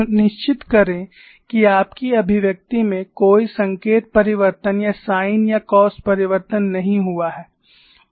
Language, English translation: Hindi, And you can again look at the expression; ensure that no sign change or sin or cos change is done in your expression